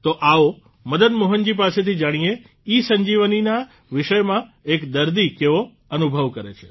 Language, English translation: Gujarati, Come, let us know from Madan Mohan ji what his experience as a patient regarding ESanjeevani has been